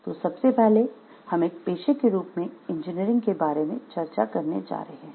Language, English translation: Hindi, So, first we are going to discuss about the engineering as a profession